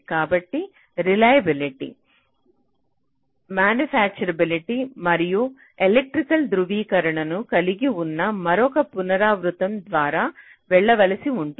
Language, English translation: Telugu, so you may have to go through another iteration which consist of reliability, manufacturability and electrical verification